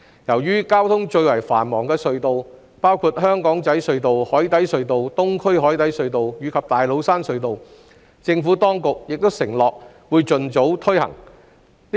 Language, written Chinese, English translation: Cantonese, 至於交通最為繁忙的隧道，包括香港仔隧道、紅磡海底隧道、東區海底隧道及大老山隧道，政府當局亦承諾會盡早推行不停車繳費系統。, As for the tunnels which are among the most heavily used ones including the Aberdeen Tunnel Cross Harbour Tunnel CHT Eastern Harbour Crossing EHC and Tates Cairn Tunnel the Administration has undertaken to roll out FFTS as soon as possible